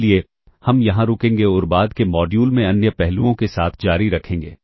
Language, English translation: Hindi, So, we will stop here and continue with other aspects in the subsequent modules